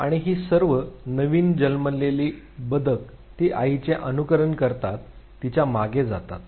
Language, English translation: Marathi, And all these newly born ducklings they would follow the mother